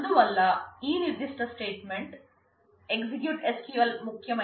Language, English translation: Telugu, So, what is important is this particular statement EXEC SQL